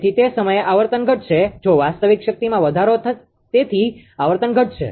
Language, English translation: Gujarati, So, at that time frequency will fall if real power increases frequency will fall